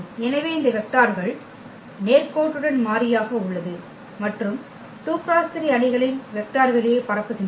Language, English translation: Tamil, So, these vectors are linearly independent and span the vector space of 2 by 3 matrices